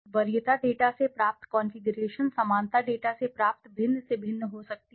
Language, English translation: Hindi, The configuration derived from the preference data may differ greatly from that obtained from the similarity data